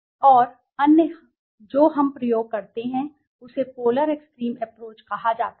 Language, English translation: Hindi, And other we use is called the polar extreme approach right